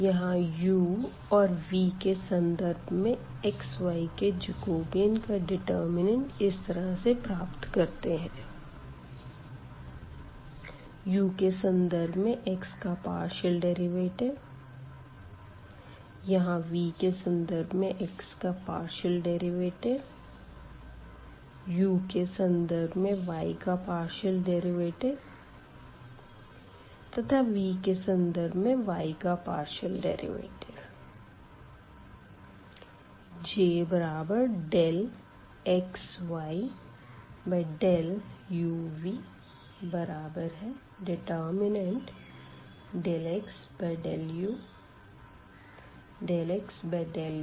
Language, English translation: Hindi, So, Jacobian here x y with respect to this u and v which is computed as in the form of this determinant; so the partial derivative of this x with respect to u the first term, here the partial derivative of x with respect to v, now for the y with respect to u and this partial derivative y with respect to v